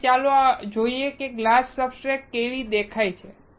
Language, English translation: Gujarati, Now, let us see how the glass substrate looks like